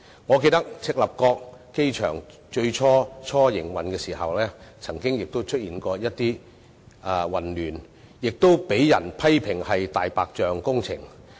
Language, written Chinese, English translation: Cantonese, 我記得赤鱲角機場在營運初期亦曾出現混亂，亦被批評為"大白象"工程。, I recall that the Chek Lap Kok Airport also experienced chaos at the initial stage of operation and it was criticized as a white elephant project